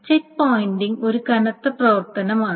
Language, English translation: Malayalam, So the checkpointing is a heavy operation